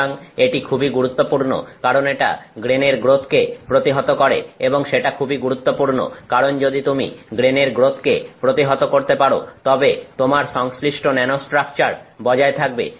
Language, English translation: Bengali, So, this is very important because it is it arrests grain growth and that is very important, because only if you arrest the grain growth then correspondingly your nanostructure is maintained